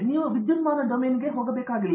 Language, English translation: Kannada, You do not have to go into the electronic domain